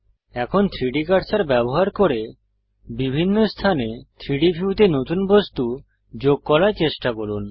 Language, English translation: Bengali, Now try to add new objects to the 3D view in different locations using the 3D cursor